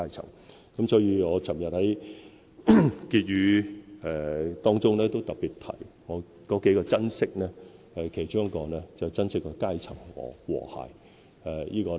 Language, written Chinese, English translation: Cantonese, 所以，昨天我在施政報告結語中，特別提到數個珍惜，其中一個便是珍惜階層和諧。, That is why in the Conclusion of the Policy Address delivered by me yesterday special reference is made to a number of things that we must treasure one of which is cross - strata harmony